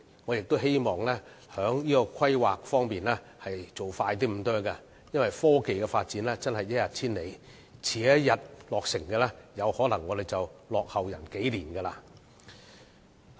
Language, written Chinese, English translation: Cantonese, 我希望在規劃上可以做得快一點，因為科技發展真是一日千里，遲一天落成，我們便可能會落後別人數年。, In view of the rapid development in technology I hope that the planning stage may be sped up as the delay of a day in completion would mean a lag of several years . On the other hand the application of innovation and technology is also important